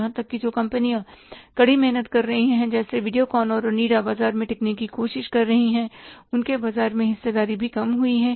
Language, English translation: Hindi, Even the companies who are striving hard and trying to sustain in the market like Videocor and Onida, their market share has also come down